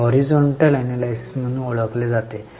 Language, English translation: Marathi, This is known as horizontal analysis